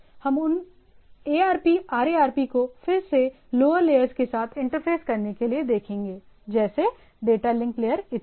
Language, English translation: Hindi, We will look at to those ARP RARP, ARP RARP again allows to interface with the lower layers right, like data link layer and so and so forth